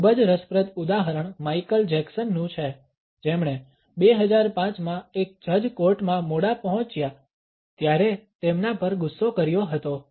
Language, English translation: Gujarati, A very interesting example is that of Michael Jackson, who angered the judge when he arrived late in one of the courts in 2005